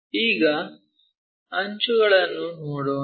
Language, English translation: Kannada, Now, let us look at edges